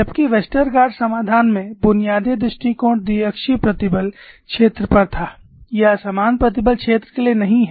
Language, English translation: Hindi, Whereas, in the Westergaard solution, the basic approach was on biaxial stress field, it is not for uniaxial stress field